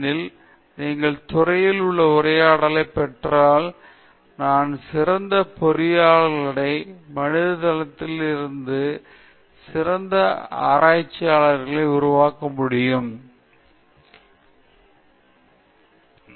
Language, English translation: Tamil, So, I think if you can integrate this, if you can have a dialogue across disciplines I think we can produce better engineers and better research in humanities